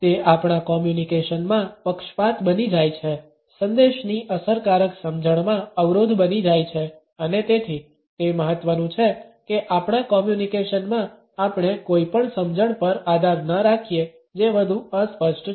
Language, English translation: Gujarati, It becomes a bias in our communication, becomes a barrier in effective understanding of the message and therefore, it is important that in our communication we do not rely on any understanding which is rather clichéd